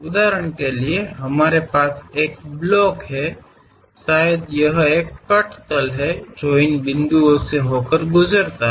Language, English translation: Hindi, For example, we have a block; perhaps may be cut plane is that, which pass through these points